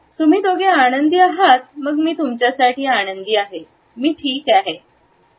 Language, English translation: Marathi, You two are happy then I am happy for you I am fine